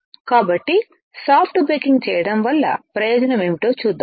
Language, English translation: Telugu, So, let us see what is the advantage of doing soft baking